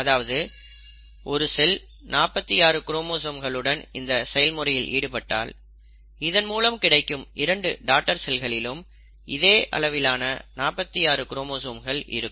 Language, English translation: Tamil, So if a cell starts with forty six chromosomes, each daughter cell will end up having forty six chromosomes